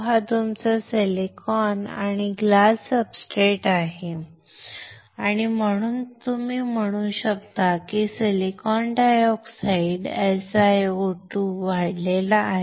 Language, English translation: Marathi, This is your silicon or glass substrate and you can say silicon dioxide SiO2 is grown